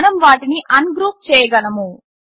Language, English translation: Telugu, We can ungroup them